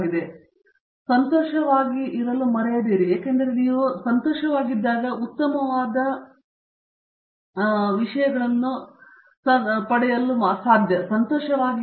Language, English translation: Kannada, The other thing is don’t forget to be happy because if you are not happy whatever you do, you cannot get the best of things